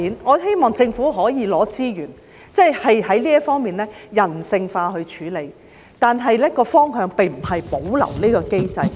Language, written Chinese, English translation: Cantonese, 我希望政府可以撥出資源，人性化地處理這問題，而方向並非是保留這個機制。, I wish that the Government can allocate some funding to deal with this problem in a humanistic way and the direction is not to retain the existing mechanism